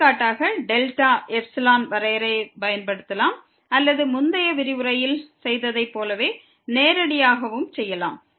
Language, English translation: Tamil, We can use for example, the delta epsilon definition or we can also do directly as we have done in the previous lecture